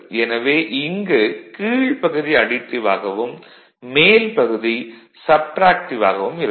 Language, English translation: Tamil, So, this upper side it is actually additive, and the lower side it is subtractive